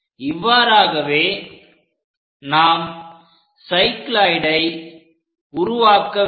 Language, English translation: Tamil, So, that it forms a cycloid